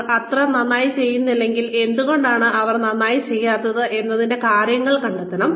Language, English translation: Malayalam, If they are not doing so well, reasons should be found out, for why they are not doing well